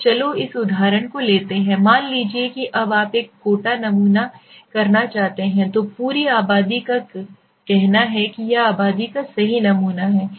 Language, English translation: Hindi, So let take this example, suppose in case now you want to do a quota sampling, so the entire population let say this is the population right this is the sample